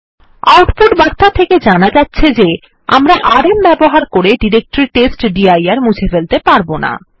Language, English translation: Bengali, From the output message we can see that we can not use the rm directory to delete testdir